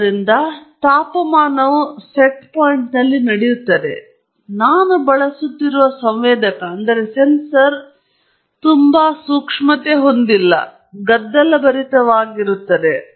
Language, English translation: Kannada, So, the temperature is held at its set point, but the sensor that I am using can be quite noisy